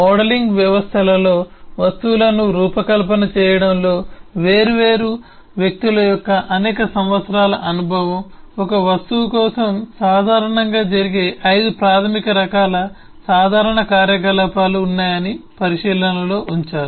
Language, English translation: Telugu, but several years of experience eh of different eh people in designing objects, in modeling systems, have eh laid to the observation that there are 5 basic types of common operations that usually happen for an object